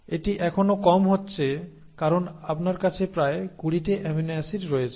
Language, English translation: Bengali, But that is still falling short because you have about 20 amino acids